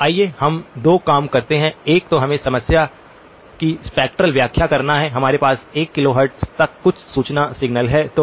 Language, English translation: Hindi, So let us do two things, one is let us just draw a spectral interpretation of the problem, we have some information signal up to 1 kilohertz